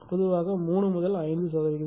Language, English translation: Tamil, Generally your 3 to 5 percent, right